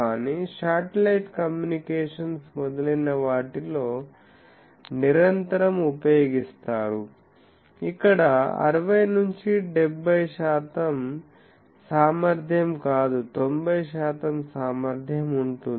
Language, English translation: Telugu, But, invariably used in satellite communications etcetera where we want not 60 70 percent efficiency something like 90 percent efficiency